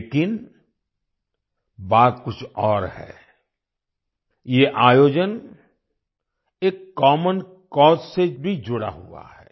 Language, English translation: Hindi, But it's something different…, this event is also related to a 'common cause'